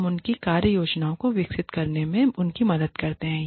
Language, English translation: Hindi, We help them, develop their work plans